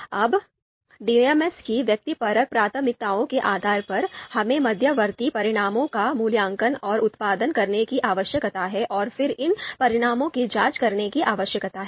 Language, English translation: Hindi, Now depending on the subjective preferences of DMs you know we need to you know evaluate and produce the intermediate results and now these you know results then they need to be examined